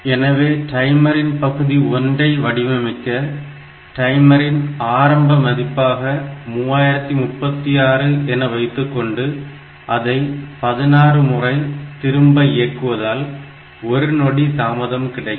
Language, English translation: Tamil, So, for designing the timer part I have to use this timer with the initial value as 3036 and then repeat the timer 16 time to get 1 second delay